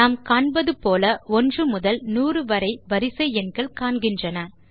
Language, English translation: Tamil, As you can see a sequence of numbers from 1 to 100 appears